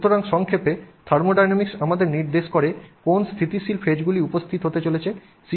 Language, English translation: Bengali, So, in summary, thermodynamics indicates to us what stable faces are going to be present